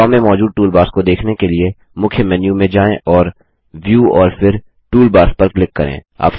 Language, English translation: Hindi, To view the toolbars available in Draw, go to the Main menu and click on View and then on Toolbars